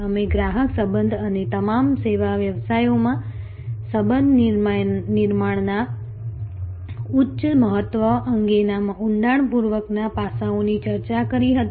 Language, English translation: Gujarati, We were already discussed in depth aspects regarding customer relationship and the high importance of relationship building in all service businesses